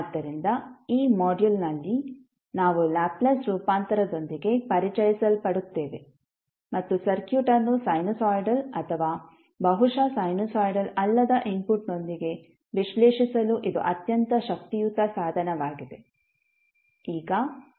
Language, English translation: Kannada, So in this module we will be introduced with the Laplace transform and this is very powerful tool for analyzing the circuit with sinusoidal or maybe the non sinusoidal inputs